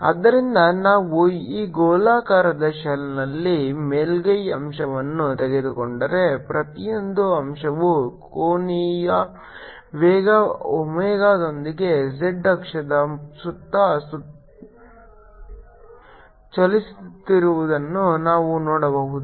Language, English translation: Kannada, so if we take a surface element on this spherical shell we can see that every element is moving around the z axis with the angular velocity omega